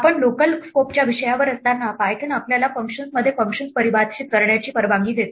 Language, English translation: Marathi, While we are on the topic of local scope, Python allows us to define functions within functions